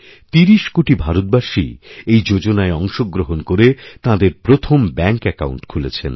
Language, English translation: Bengali, Thirty crore new families have been linked to this scheme, bank accounts have been opened